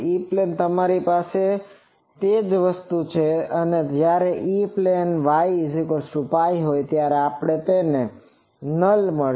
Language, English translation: Gujarati, So, E plane you have that same thing and this since we have in the E plane the when y is equal to pi, we will get that null